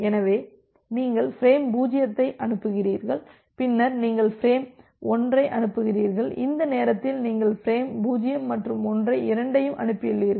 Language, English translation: Tamil, So, you are transmitting frame 0, then you are transmitting frame 1, at this time you are you have transmitted both frame 0’s and 1’s